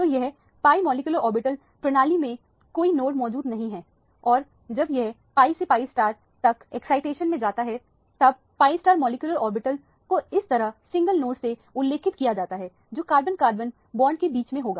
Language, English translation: Hindi, So, this is the pi molecular orbital with no notes present in the system and when it undergoes excitation from pi to pi star, the pi star molecular orbital is represented like this with a single node which will be at the center of the carbon carbon bond